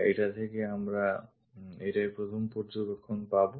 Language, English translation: Bengali, This is the first observation what we will get from this